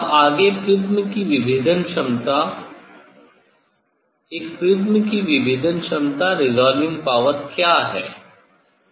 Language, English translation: Hindi, then next resolving power of a prism; what is the resolving power of a prism